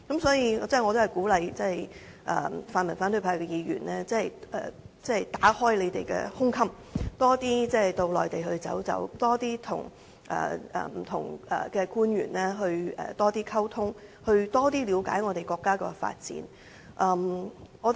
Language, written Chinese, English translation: Cantonese, 所以，我鼓勵泛民反對派的議員打開胸襟，多點前往內地，多點與官員溝通，多點了解國家的發展。, For this reason I encourage pan - democratic Members of the opposition camp to open their minds and visit the Mainland more often so as to communicate with the officials and learn more about the development of the country